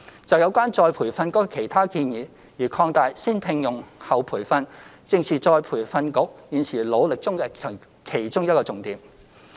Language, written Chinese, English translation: Cantonese, 就有關再培訓局的其他建議，如擴大"先聘用、後培訓"計劃，正是再培訓局現時努力中的重點之一。, Regarding the other proposals pertaining to ERB such as extending the First - Hire - Then - Train scheme this is exactly a key area of work in which ERB is putting in a lot of efforts